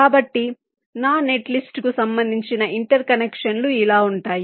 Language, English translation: Telugu, so the interconnections corresponding to my net list will be like this